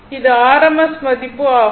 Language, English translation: Tamil, So, this is your rms value